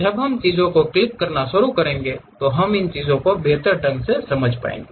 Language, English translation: Hindi, When we are opening clicking the things we will better understand these things